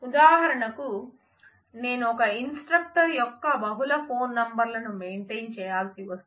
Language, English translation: Telugu, For example, if I have to maintain multiple phone numbers of an instructor